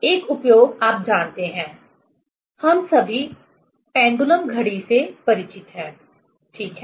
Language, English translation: Hindi, One application, you know, all of us are familiar with the pendulum clock, right